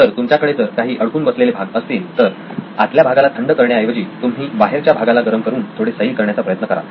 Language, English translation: Marathi, So if you have a stuck part rather than cooling the inner part we heap the outer part to loosen it out